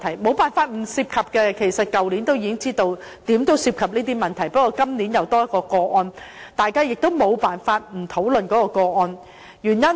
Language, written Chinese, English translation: Cantonese, 其實也沒法不涉及這些問題，去年大家已知道會涉及這些問題，不過今年新增一宗個案，大家也沒辦法不討論這個案。, Last year we already knew that these issues would be involved just that there is a new case this year and it is therefore impossible not to discuss it